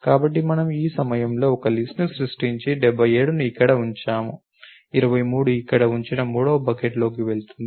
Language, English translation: Telugu, So, we create a list at this point and put 77 over here 23 will go in to the third bucket we put it over here